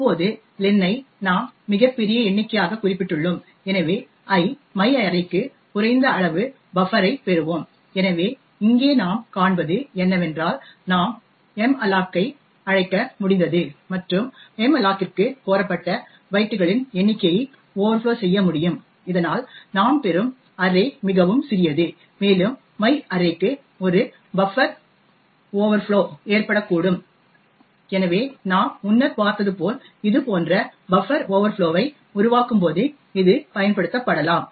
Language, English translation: Tamil, Now len we have specified as a very large number and therefore we would obtain a buffer over low for my array of i, so what we see over here is that we have been able to invoke malloc and being able to overflow the number of bytes requested to malloc thus the array that we obtain is very small and we could cause an buffer overflow to my array, so as we have seen before when we create such buffer overflows it can thus be exploited